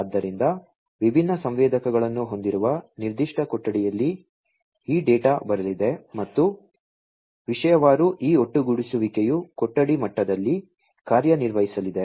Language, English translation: Kannada, So, you know in a particular room with different sensors this data are going to come and topic wise this aggregation is going to perform in the room level